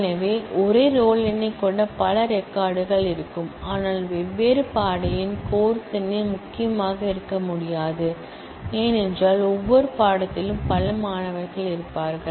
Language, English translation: Tamil, So, there will be multiple records having the same roll number, but different course number, the course number by itself cannot be the key, because every course will have multiple students